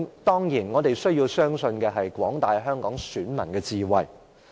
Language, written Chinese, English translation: Cantonese, 當然，我們需要相信廣大香港選民的智慧。, Certainly we have to trust the wisdom of the voters in Hong Kong at large